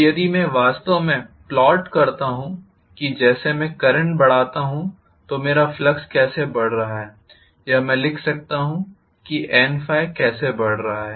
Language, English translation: Hindi, So if I try to actually plot, as I increase the current, how my flux is increasing or I may write N times phi how that is increasing